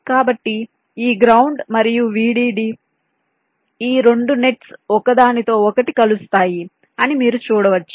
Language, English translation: Telugu, so these ground and v d d, these two nets, are not intersecting each other, you can see